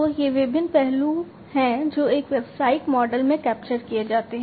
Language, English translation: Hindi, So, these are the different aspects that are captured in a business model